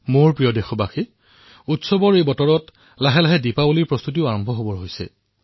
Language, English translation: Assamese, There is a mood of festivity and with this the preparations for Diwali also begin